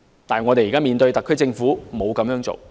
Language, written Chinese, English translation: Cantonese, 但是，現時特區政府沒有這樣做。, But this is not what the SAR Government is doing now